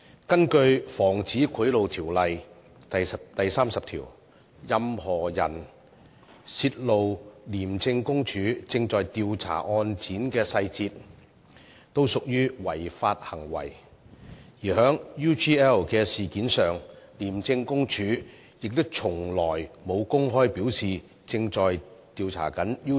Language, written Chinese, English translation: Cantonese, 根據《防止賄賂條例》第30條，任何人泄露廉署正在調查案件的細節，均屬違法，而就 UGL 事件，廉署亦從來沒有公開表示正就該事件進行調查。, Under section 30 of the Prevention of Bribery Ordinance any person who discloses the details of an investigation undertaken by ICAC shall be guilty of an offence and as far as the UGL incident is concerned ICAC has never openly disclosed that an investigation in respect of the incident is taking place